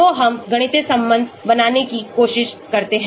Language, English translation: Hindi, so we try to get a mathematical relation